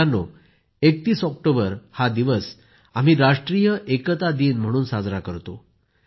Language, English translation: Marathi, Friends, we celebrate the 31st of October as National Unity Day